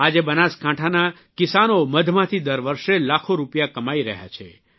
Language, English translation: Gujarati, Today, farmers of Banaskantha are earning lakhs of rupees annually through honey